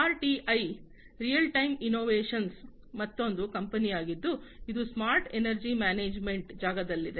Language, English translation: Kannada, RTI, Real Time Innovations is another company, which is into the smart energy management space